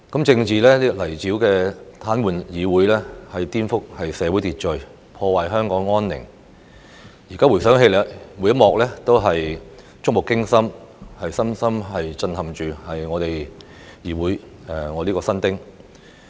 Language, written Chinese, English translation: Cantonese, 政治泥沼癱瘓議會丶顛覆社會秩序、破壞香港安寧，現在回想起來，每一幕均觸目驚心，深深震撼我這名議會新丁。, The political quagmire has paralysed the Council subverted social order and disrupted the tranquility of Hong Kong . In retrospect I was much shocked by every such terrifying scene as a newcomer to the legislature